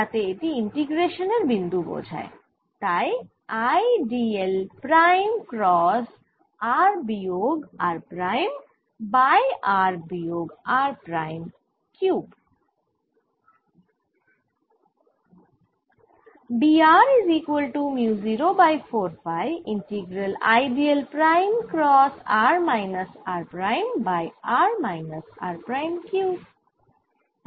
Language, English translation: Bengali, let me also put d l prime so that it denotes the, the point of integration: cross r minus r prime over r minus r prime cubed